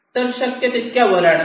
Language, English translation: Marathi, so bring it as much up as possible